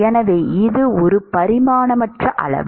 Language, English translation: Tamil, So, this is a dimensionless quantity